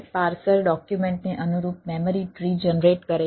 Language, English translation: Gujarati, ah, parser generates in memory tree corresponding the document